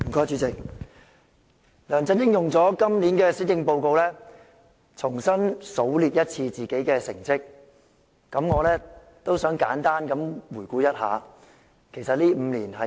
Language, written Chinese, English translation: Cantonese, 主席，梁振英用今年施政報告重新數列自己的成績，我也想簡單回顧一下，其實這5年是怎樣的呢？, President LEUNG Chun - ying used the Policy Address to enumerate his achievements anew . I also wish to give a brief review of what has happened in these five years